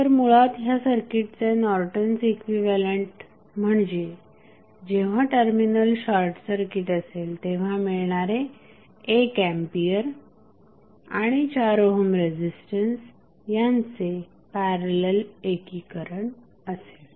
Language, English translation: Marathi, So, basically the Norton's equivalent of this circuit when it is not short circuited would be 1 ampere in parallel with 4 ohm resistance